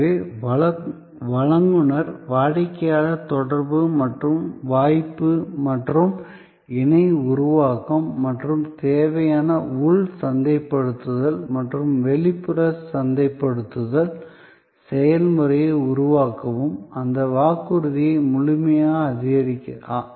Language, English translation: Tamil, And therefore start with the provider customer interaction and opportunity and the platform for co creation and create necessary internal marketing and external marketing process that support ably that delivery of the promise